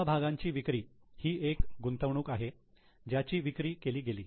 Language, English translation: Marathi, So, it is an investment which has been sold